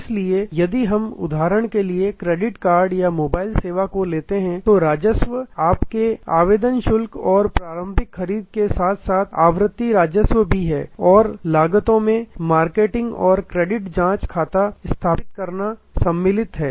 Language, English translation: Hindi, So, revenues are in a if we take for example, credit card or mobile service, then revenues are your application fee plus initial purchase and plus recurring revenues coming and costs will be marketing and the credit check, setting up the account and so on